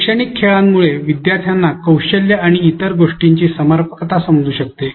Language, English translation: Marathi, Educational games can make learners understand the relevance of skills and so forth and so on